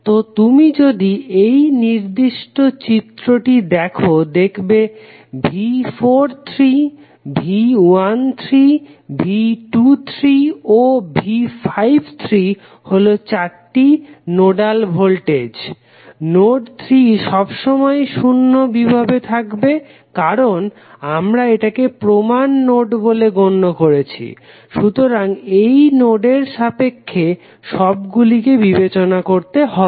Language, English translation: Bengali, So, if you see in this particular figure V 43, V 13, V 23 and V 53 are the four node voltages, node 3 will always be at zero potential because we considered it as a reference, so with respect to this node all would be considered